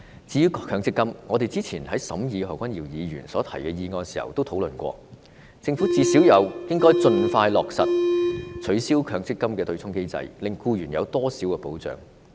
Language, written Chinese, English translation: Cantonese, 至於強積金，我們早前討論何君堯議員提出的議案時已曾討論，政府最低限度應盡快落實取消強積金對沖機制，令僱員有多點保障。, As for MPF we already discussed it some time ago in our discussion on the motion proposed by Dr Junius HO . The Government should at least abolish the offsetting mechanism of MPF expeditiously in order to provide more protection for the employees